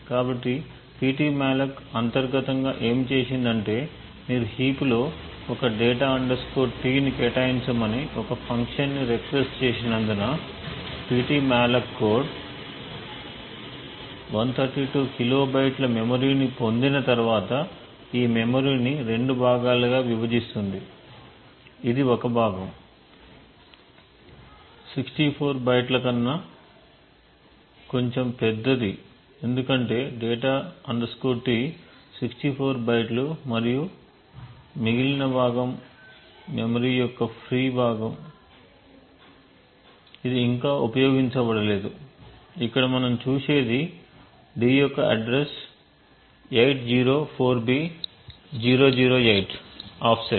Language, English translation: Telugu, So what Ptmalloc has done internally is that since you have invoked the function requesting a structure data T to be allocated in the heap, so Ptmalloc code once it has obtained the 132 kilobytes of memory would split this memory into two components, one component which would be slightly larger than 64 bytes because data T is 64 bytes and the remaining component is the free chunk of memory which has not yet been utilized, what we see over here is the address of d we see that it is an offset of 804b008